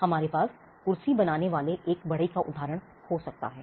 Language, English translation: Hindi, We could have the example of a carpenter creating a chair